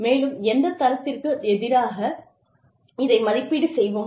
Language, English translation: Tamil, And, what are the standards against which, we will evaluate this